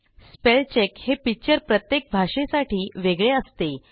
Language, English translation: Marathi, The spell check feature is distinct for each language